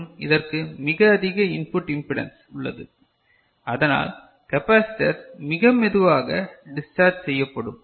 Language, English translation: Tamil, And this has got a very high input impedance for which the capacitor will be discharging very slowly